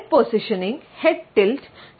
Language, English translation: Malayalam, Head positioning, head tilt